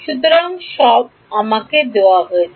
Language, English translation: Bengali, So, it is all given to me